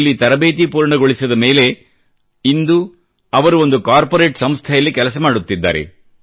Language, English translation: Kannada, After completing his training today he is working in a corporate house